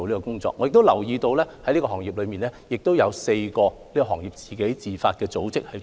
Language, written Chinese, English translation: Cantonese, 同時，我亦留意到此類企業中亦有4個行業自發的組織。, Meanwhile I also notice that four service sectors in the franchising market have set up organizations on their own initiative